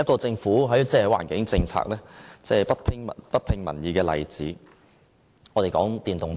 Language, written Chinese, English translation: Cantonese, 政府環境政策不聽民意的另一個例子，就是電動車。, The policy on electric vehicles is another example of the Governments no listening to public views in its environmental policies